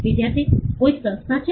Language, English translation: Gujarati, Student: Is there some institute